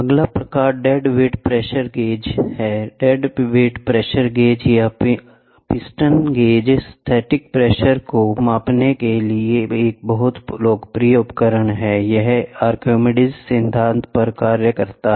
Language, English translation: Hindi, The next type is dead weight pressure gauge; dead weight pressure gauge or a piston gauge is a very popular device for measuring the static pressure, it works on Archimedes principle